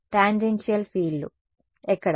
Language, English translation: Telugu, Tangential fields, where